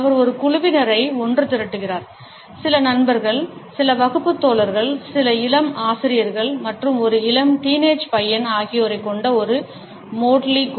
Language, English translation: Tamil, He gather together a group of people, a motley group which consisted of some friends, some classmates, some young teachers, as well as a young teenager boy